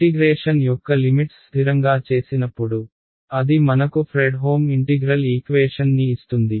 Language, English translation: Telugu, When the limits of integration are fixed right so, that gives us a Fredholm integral equation